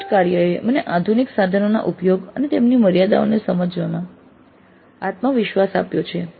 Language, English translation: Gujarati, Project work has made me confident in the use of modern tools and also in understanding their limitations